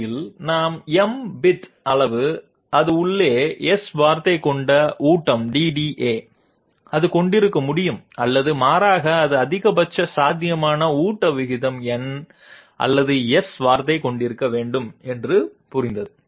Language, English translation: Tamil, In the same way, we understand that the feed DDA which has S word inside which is of m bit size, it can contain or rather it has to contain the maximum possible feed rate number or S word